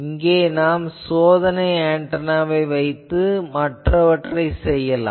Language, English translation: Tamil, So now you can put the test antenna it is here and you can make your things